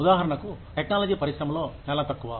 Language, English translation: Telugu, For example, in the technology industry, is very less